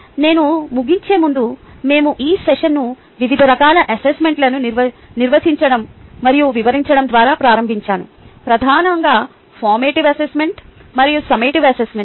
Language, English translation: Telugu, we started this session with defining and explaining different types of assessment, mainly the formative assessment and the summative assessment